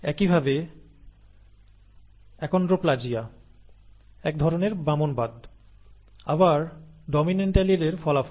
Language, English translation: Bengali, Similarly achondroplasia, a type of dwarfism, results from a dominant allele again